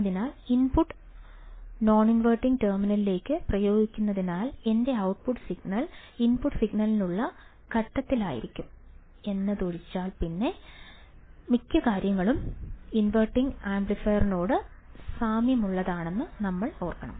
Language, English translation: Malayalam, So, you have to remember that most of the things are similar to the inverting amplifier except that now since the input is applied to the non inverting terminal my output signal would be in phase to the input signal